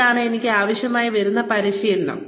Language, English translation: Malayalam, This is the training, I will need